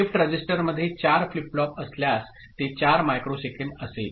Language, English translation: Marathi, If there are 4 flip flops in the shift register, it will be 4 microsecond